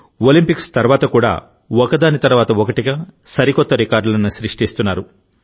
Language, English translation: Telugu, Even after the Olympics, he is setting new records of success, one after the other